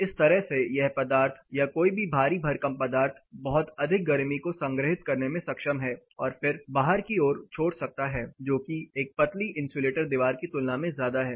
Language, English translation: Hindi, In this sense this particular material or any massive material is able to store a lot of heat one then reemitted back to the outside compare to what a thin insulated wall can do